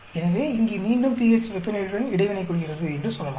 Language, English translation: Tamil, So, here again we can say pH is interacting with temperature